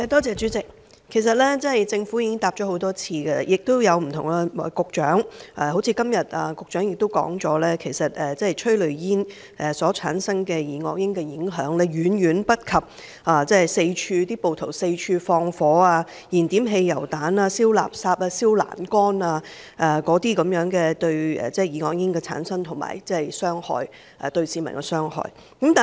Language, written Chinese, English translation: Cantonese, 主席，這方面，政府曾多次回答，而不同局長也曾作出回覆，答覆也如局長今天所表示，就是催淚煙產生的二噁英的影響，遠遠不及暴徒四處放火、燃點汽油彈、燒垃圾、燒欄杆等所產生的二噁英和對市民造成的傷害。, President the Government has answered a number of times and various Directors of Bureaux have offered their replies in this regard . The replies were the same as the Secretarys reply today which states that the impact of dioxin produced by tear gas is incomparable to the dioxin generated by rioters acts of arson ignition of petrol bombs and the burning of garbage and barriers or to the damage done to the public caused by rioters